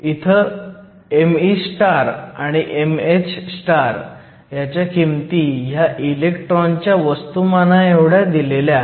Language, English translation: Marathi, So, m e star and m h star values are given they are equal to the mass of the electron